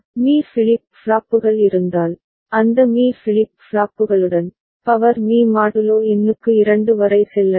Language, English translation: Tamil, And if m flip flops are there, then with those m flip flops, we can go up to 2 to the power m modulo number